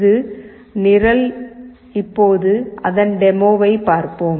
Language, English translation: Tamil, This is the program, and let us see the demo now